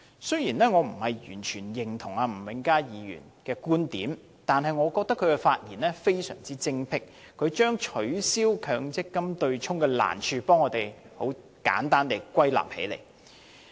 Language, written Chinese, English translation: Cantonese, 雖然我並非完全認同吳永嘉議員的觀點，但我認為他的發言非常精闢，他將取消強積金對沖機制的難處，為我們很簡單地歸納起來。, I do not entirely subscribe to Mr Jimmy NGs viewpoints but I find his speech most insightful . He has given a simple summary of the difficulties in abolishing the MPF offsetting mechanism